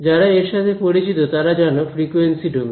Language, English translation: Bengali, Those of you who are familiar with it is actually frequency domain again